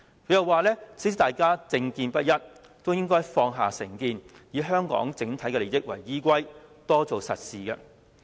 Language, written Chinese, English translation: Cantonese, 他又表示，雖然大家政見不一，也應該放下成見，以香港整體利益為依歸，多做實事。, He also noted in the letter that we should set aside prejudices and take a pragmatic approach to work in the overall interest of Hong Kong despite that our views on political affairs are divided